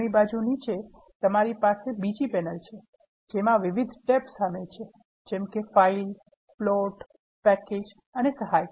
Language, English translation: Gujarati, The right bottom, you have another panel, which contains multiple tab, such as files, plots, packages and help